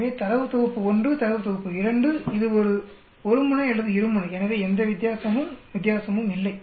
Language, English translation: Tamil, So data set 1, data set 2, it is a one tail or two tail, so no difference, difference and all that